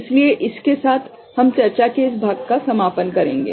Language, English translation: Hindi, So with this we shall conclude this part of the discussion